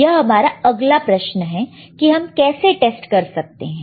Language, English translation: Hindi, There is the next question, how we can test